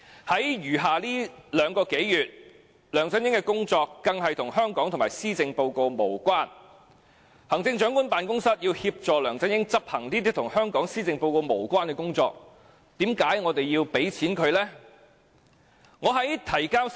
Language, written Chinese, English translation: Cantonese, 在餘下的兩個多月，梁振英的工作更與香港及施政報告無關，行政長官辦公室要協助梁振英執行這些與香港施政報告無關的工作，為何我們要撥款給他呢？, In the remaining two - odd months LEUNG Chun - ying is doing work that is not related to Hong Kong and the Policy Address . The Chief Executives Office will assist LEUNG Chun - ying in executing work not related to the Policy Address of Hong Kong then why do we grant him funding?